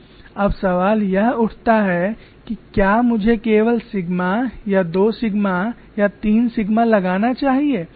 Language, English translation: Hindi, Now the question arises should I apply only sigma or two sigma or three sigma